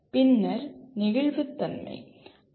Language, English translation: Tamil, And then “flexibility”